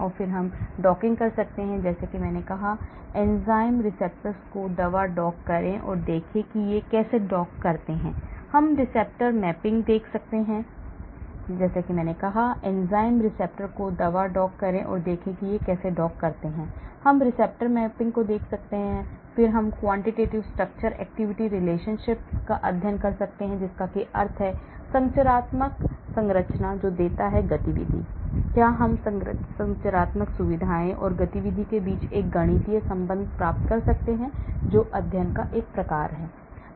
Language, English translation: Hindi, And then we can do docking like I said, dock the drug to the enzyme receptor and see how they dock, we can look at the receptor mapping, then we can do quantitative structure activity relationship studies that means what are the structural features that gives you activity, can I get a mathematical relation between the structural features, And activity that sort of studies